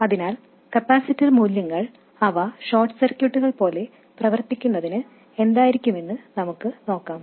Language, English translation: Malayalam, So let's see what the capacitor values must be so that they do behave like short circuits